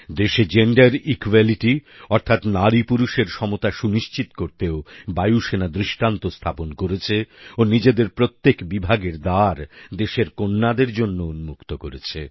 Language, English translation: Bengali, The Air Force has set an example in ensuring gender equality and has opened its doors for our daughters of India